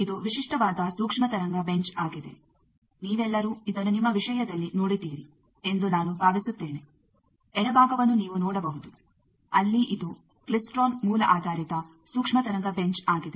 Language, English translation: Kannada, This is a typical microwave bench, I think all of you have seen it in your thing, you can see the left most side there is a this is a klystron source based microwave bench